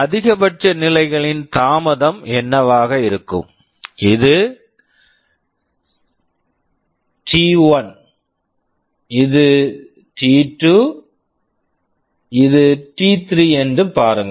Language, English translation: Tamil, What will be the maximum stage delay, see this is t1, this is t2, this is t3